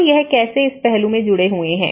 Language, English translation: Hindi, So, that is how these are linked into this aspect